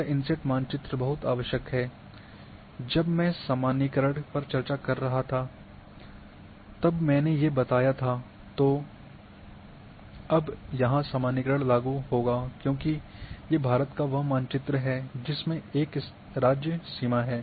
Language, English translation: Hindi, This inset map is also very much required when I was discussing generalization here, now the generalization will be applicable because when then that map of India with this a state boundary